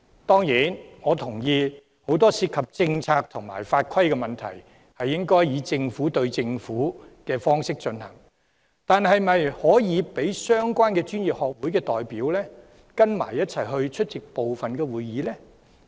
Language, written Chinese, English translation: Cantonese, 當然，我認同很多涉及政策和法規的問題應該以"政府對政府"的方式處理，但是否可以讓相關專業學會的代表一同出席部分會議？, Of course I agree that many issues which involve policies and regulations should be handled between governments . However can representatives from relevant professional bodies be allowed to attend certain meetings together with you?